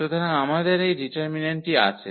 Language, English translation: Bengali, So, we have this determinant